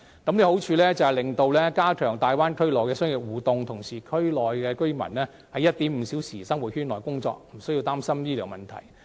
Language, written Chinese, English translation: Cantonese, 計劃的好處是，可以加強大灣區內的商業互動，同時區內居民在 1.5 小時生活圈內工作，無須擔心醫療問題。, The scheme has the advantage of strengthening business interactions in the Bay Area . Meanwhile residents working in the 1.5 - hour living circle do not need to worry about health care